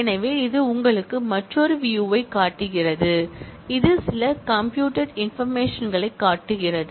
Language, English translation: Tamil, So, this is showing you another view, which shows certain computed information